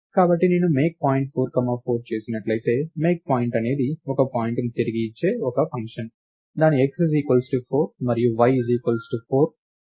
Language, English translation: Telugu, So, if I did MakePoint 4 comma 4, MakePoint is a function which is going to return a point which its x as 4 and y as 4